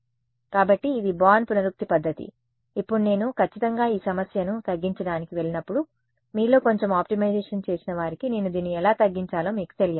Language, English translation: Telugu, So, this was the born iterative method, now strictly speaking when I go to minimize this problem those of you who have done a little bit of optimization, you should know how will I minimize this